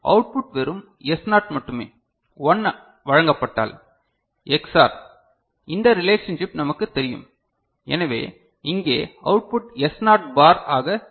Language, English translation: Tamil, So, the output will be just S0 only right and if 1 is presented, Ex OR this relationship we know, so the output here will be S naught bar, is it fine